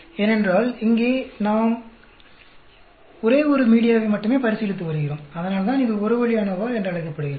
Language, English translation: Tamil, Because here we are considering only one media, that is why it is called the one way ANOVA